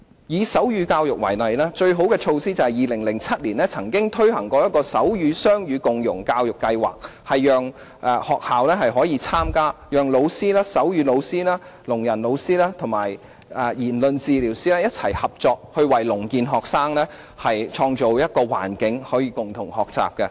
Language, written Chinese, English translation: Cantonese, 以手語教育為例，最好的措施是在2007年曾經推行手語雙語共融教育計劃，讓學校可以參加，讓手語老師、聾人老師及言語治療師一起合作，為聾健學生創造可以共同學習的環境。, In the case of sign language education for example the most notable measure is just the Sign Bilingualism and Co - enrolment in Deaf Education Programme rolled out in 2007 for the participation of schools . Under the programme sign - bilingual instructors deaf instructors and speech therapists can work together to provide a common learning environment for deaf students and students with normal hearing